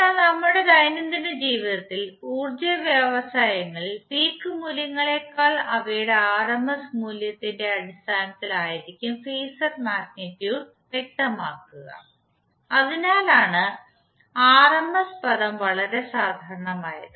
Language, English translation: Malayalam, But in our day to day life the power industries is specified phasor magnitude in terms of their rms value rather than the peak values, so that’s why the rms term is very common